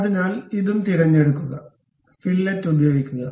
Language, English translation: Malayalam, So, select this one and select this one also, use fillet